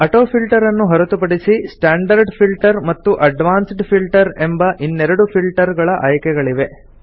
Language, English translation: Kannada, Apart from AutoFilter, there are two more filter options namely Standard Filter and Advanced Filter which we will learn about in the later stages of this series